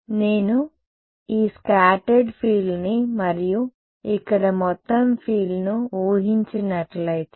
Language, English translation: Telugu, If I assume this scattered field here and total field over here